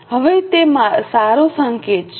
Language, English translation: Gujarati, Now is it a good sign